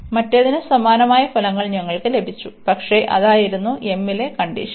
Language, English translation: Malayalam, We had the similar results for the other one, but that was the condition was on m